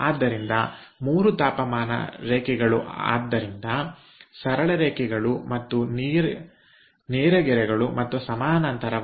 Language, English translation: Kannada, so three temperature lines are therefore straight lines and parallel